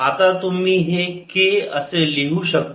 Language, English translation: Marathi, let's call this direction k